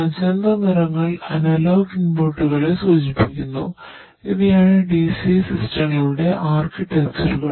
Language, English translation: Malayalam, Come from the field and magenta colours indicates the analogue inputs Ok These are the architecture architectures of the DCA systems